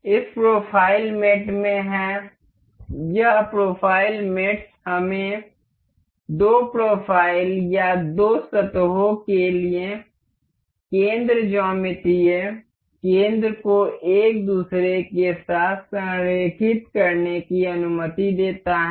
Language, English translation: Hindi, In this profile mate, this profile mates allows us to align the center geometric center for two profiles or two surfaces to align over each other